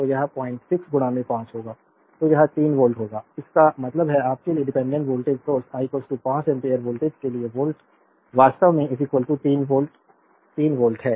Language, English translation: Hindi, 6 into 5 so, it will be 3 volt; that means, volt for I is equal to 5 ampere voltage of the dependent your dependent voltage source it is actually is equal to 3 volt right 3 volt